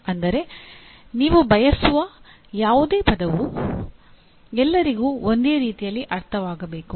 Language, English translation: Kannada, That means any word that you use it means the same for all